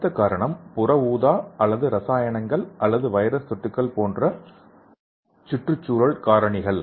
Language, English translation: Tamil, And next reason is environmental factors like UV or chemicals or viral infections